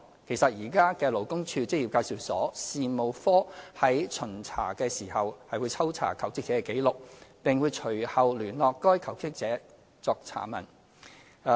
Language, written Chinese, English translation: Cantonese, 其實，現時勞工處職業介紹所事務科在巡查時，是會抽查求職者的紀錄，並會隨後聯絡該求職者作查問。, In fact in the course of inspections staff of the Employment Agencies Administration of LD will at present conduct spot checks on the records of jobseekers then contact and question the relevant jobseekers to make enquiries